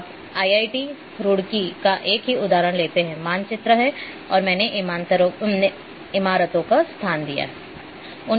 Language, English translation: Hindi, Now, let us take the same example of IIT Roorkee, map and I have ranked the buildings on their